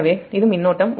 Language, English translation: Tamil, so this current is i a b